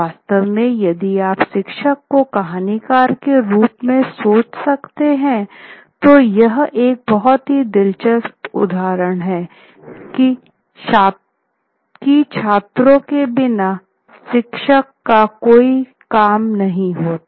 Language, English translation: Hindi, In fact, if you can think of the teacher as a storyteller, then this is a very interesting instance where there are no students